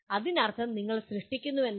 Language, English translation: Malayalam, That means you are creating